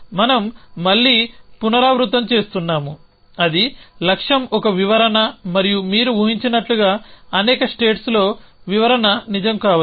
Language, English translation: Telugu, So, again that we repeat that is a goal is a description and the description may be true in many states as you can imagine